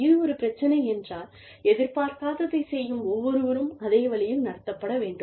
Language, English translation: Tamil, If it is an issue, then everybody doing, whatever is not expected, should be treated, the exact same way